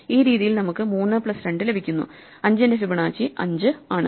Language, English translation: Malayalam, And in this way, we get 3 plus 2 and therefore, Fibonacci of 5 is 5